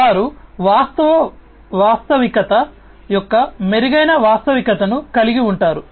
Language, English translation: Telugu, So, they will have improved augmented reality of the actual reality